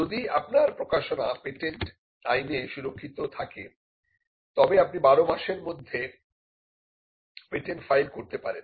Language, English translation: Bengali, If your disclosure is a protected disclosure under the Patents Act, then you can file a patent within 12 months